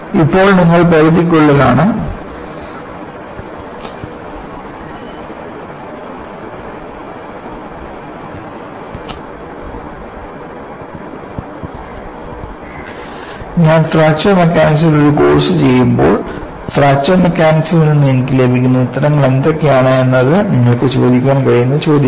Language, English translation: Malayalam, So that, you are well within the limits and now we can ask, when I do a course in Fracture Mechanics, what are the answers that, I could get from Fracture Mechanics is the question that when ask